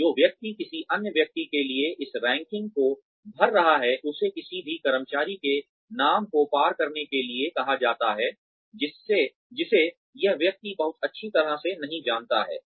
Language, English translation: Hindi, So, the person, who is filling up this ranking for another person, is asked to cross out the names of any employee, who this person does not know very well